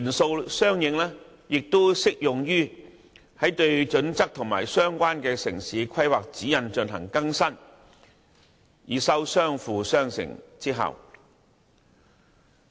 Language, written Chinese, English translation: Cantonese, 這些元素適用於對《規劃標準》和《指引》進行相應更新，以收相輔相成之效。, Separately these elements can be applied to the updating of HKPSG and the relevant town planning guidelines so as to achieve complementary effects